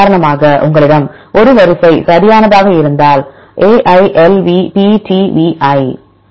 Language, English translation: Tamil, For example if you have a sequence right A I L V P T V I